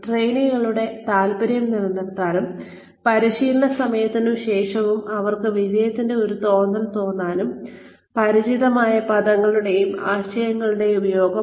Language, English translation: Malayalam, Use of familiar terms and concepts, to sustain the interest of trainees, and to give them, a feeling of success, during and after training